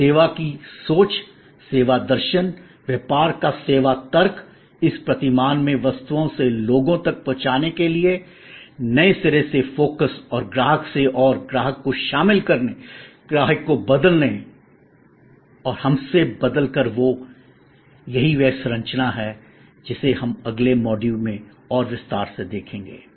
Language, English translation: Hindi, And the service thinking, service philosophy, service logic of business as a big role to play in this paradigm shift from objects to people, from the renewed focus and the customer and engaging with the customer's, involving the customer, changing from we and they to us